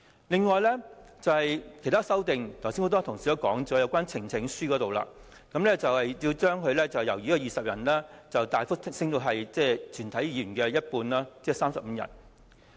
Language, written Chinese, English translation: Cantonese, 此外，很多同事剛才談及有關提交呈請書的人數，建制派要求由20人大幅增加至全體議員的一半，即35人。, Besides many colleagues mentioned the number of Members required for supporting a petition . The pro - establishment camp asks for a drastic increase from 20 Members to half of all Members ie . 35 Members